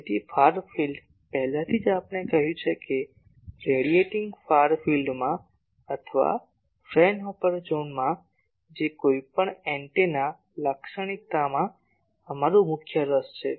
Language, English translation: Gujarati, So, far field already we said that in the radiating far field or Fraunhofer zone which is our main interest for any antenna characterization